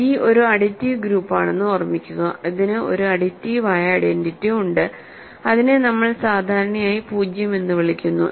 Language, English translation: Malayalam, So, remember G is an additive group, it has an additive identity which we usually call 0